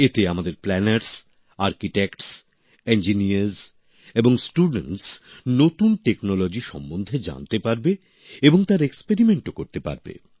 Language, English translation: Bengali, Through this our planners, Architects, Engineers and students will know of new technology and experiment with them too